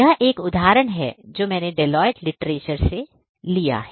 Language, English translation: Hindi, This is a quote that I have taken from a Deloitte literature